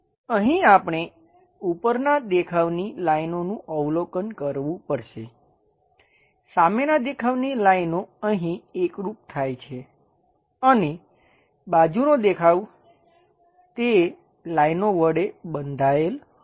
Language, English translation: Gujarati, Here we have to observe the top view lines, the front view lines coincides here and the side view will be completely bounded throughout that lines